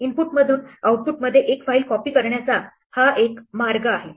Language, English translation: Marathi, This is one way to copy one file from input to output